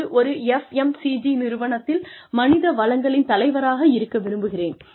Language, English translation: Tamil, Or, i would like to be, the head of human resources in an FMCG company